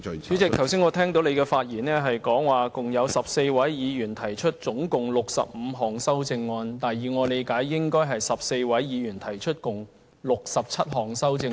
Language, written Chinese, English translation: Cantonese, 主席，我剛才聽你提到，有14位議員提出合共65項修正案，但以我理解，應有14位議員提出合共67項修正案。, Chairman just now I heard you mention that there were a total of 65 amendments proposed by 14 Members . However to my understanding there should be a total of 67 amendments proposed by 14 Members